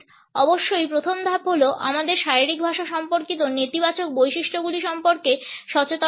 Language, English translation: Bengali, The first step of course, is to be aware of the negative traits which we may possess as for as our body language is concerned